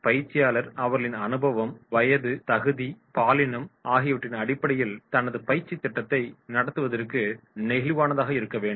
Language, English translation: Tamil, And trainer on the basis of their experience, age, qualification, gender has to tune up flexible to conduct his training program